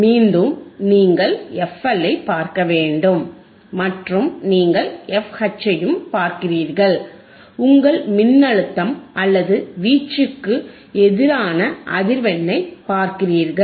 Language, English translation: Tamil, Again, you hasve to looking at FLFL, you are looking at FH right and you are looking at the frequency versus your voltage or amplitude right;